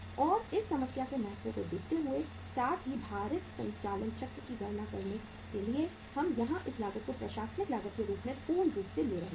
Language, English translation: Hindi, And uh looking at the importance of the problem as well as the working out of the weighted operating cycle uh we are taking this cost as the administrative cost or as full